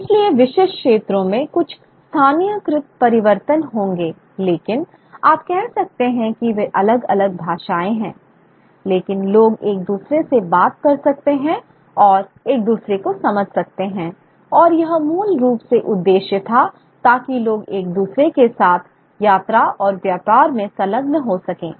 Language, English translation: Hindi, So, there would be certain localized inflections in specific areas but they are, you can say that they are different languages but people can buy a large speak to each other and understand each other and that was basically the purpose for so that people can engage in travel and trade with each other